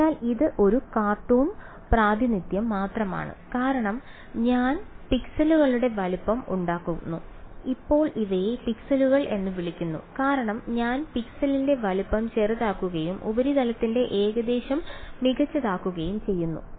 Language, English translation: Malayalam, So, this is just a cartoon representation as I make the size of the pixels now these are called pixels as I make the size of the pixel smaller and smaller better is the approximation of the surface